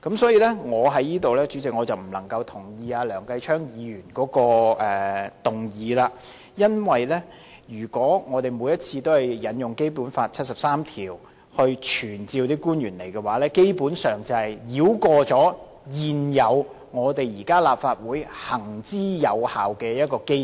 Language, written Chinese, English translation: Cantonese, 主席，我因此不贊同梁繼昌議員的議案，因為如果我們每次都根據《基本法》第七十三條傳召官員出席立法會會議，基本上是繞過立法會現時行之有效的機制。, President I thus do not agree to Mr Kenneth LEUNGs motion . If we summon officials to attend before the Council pursuant to Article 73 of the Basic Law every time we are basically bypassing the existing effective mechanism of the Council